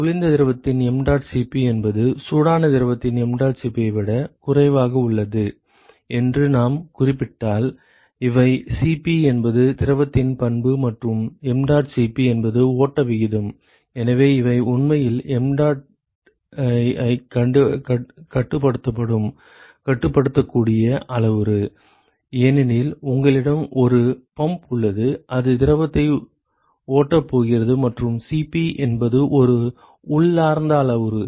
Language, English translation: Tamil, If we specify suppose that this is the mdot Cp of the cold fluid is lesser than the mdot Cp of the hot fluid remember these are the Cp is the property of the fluid and mdot is the flow rate So, these are actually control mdot has a controllable parameter because you have a pump which is going to flow the fluid and Cp is an intrinsicn parameter